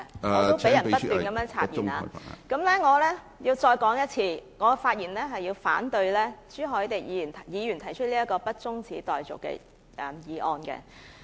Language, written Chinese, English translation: Cantonese, 我也不斷被插言......我重申，我發言反對朱凱廸議員動議的不中止待續議案。, My speech has been interrupted over and over again I reiterate that I rise to speak against the motion moved by Mr CHU Hoi - dick that the debate be not adjourned